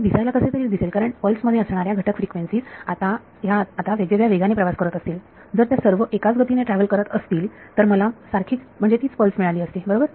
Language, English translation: Marathi, So, this may look something why, because the constituent frequencies that went up to make that pulse are travelling at different speeds now, if they all travel at the same speeds I would get the same pulse right